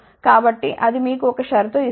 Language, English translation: Telugu, So, that will give you one condition